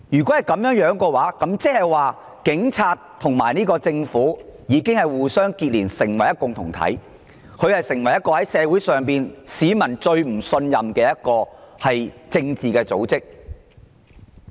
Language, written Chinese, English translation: Cantonese, 這樣一來，警隊已和特區政府互相連結成為一個共同體，以及社會上一個市民最不信任的政治組織。, Under such circumstances the Police Force and the SAR Government have already linked up with each other to form a union and a political organization of which Hong Kong people are most distrustful